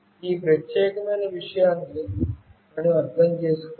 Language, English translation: Telugu, We must understand this particular thing